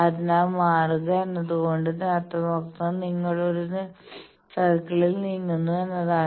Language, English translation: Malayalam, So, changing means what you are moving in a circle